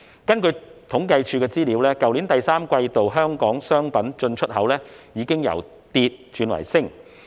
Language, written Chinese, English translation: Cantonese, 根據政府統計處的資料，去年第三季度香港商品進出口已經由跌轉升。, According to the statistics of the Census and Statistics Department Hong Kongs import and export of goods have reverted to an increase in the third quarter of last year